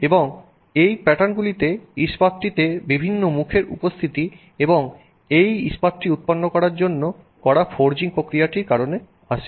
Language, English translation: Bengali, And these patterns come due to presence of different you know phases in the steel and the forging process that is done to generate this steel